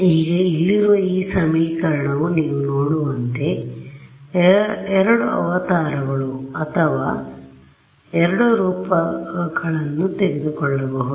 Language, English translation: Kannada, Now, this equation over here has can take two avatars or two forms as you can see